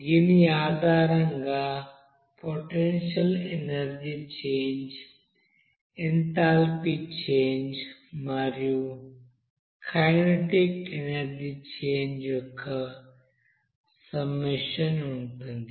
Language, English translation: Telugu, So based on which there will be a summation of that you know potential energy change, enthalpy change and kinetic energy change